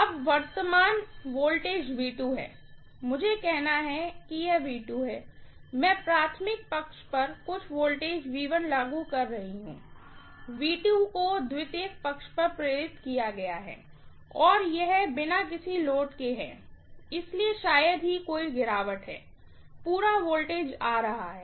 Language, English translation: Hindi, Now, the current, the voltage is V2, let me say it is V2, I am applying some voltage V1 on the primary side, V2 is induced on the secondary side and it is on no load, so hardly there is any drop, the entire voltage is coming up, okay